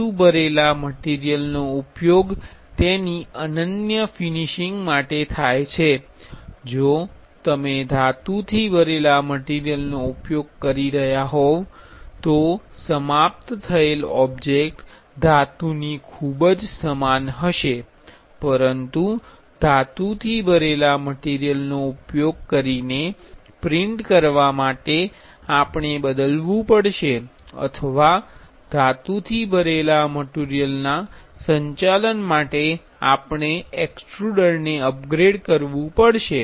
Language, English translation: Gujarati, Metal filled material is mostly used for its unique finish, if you are using a metal filled material the object finished will be very much similar to a metal, but for printing using metal filled material we have to change we have to upgrade the extruder for handling metal filled material